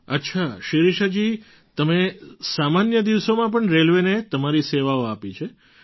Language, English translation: Gujarati, Ok Shirisha ji, you have served railways during normal days too